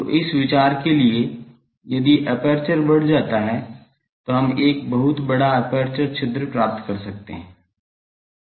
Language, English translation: Hindi, So, for that the idea is the if the aperture is flared, then we can get a much larger aperture opening